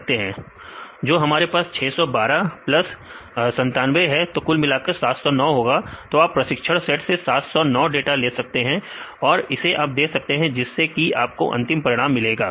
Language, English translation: Hindi, We have 612 plus 97; this will be 709 so you take all the 709 data for training and it will give you the data; they will give you the final result